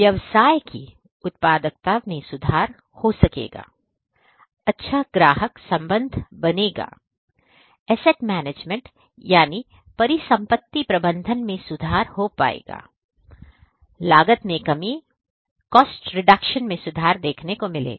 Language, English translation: Hindi, The productivity of the business is going to improve, the customer relationship is going to improve, the asset management is going to improve, the cost reduction is going to happen and so on